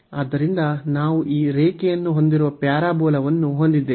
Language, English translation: Kannada, So, we have the parabola we have this line here